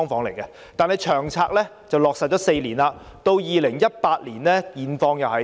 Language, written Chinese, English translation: Cantonese, 然而，《長策》已落實4年 ，2018 年的情況如何？, After LTHS had been implemented for four years what was the situation in 2018 like?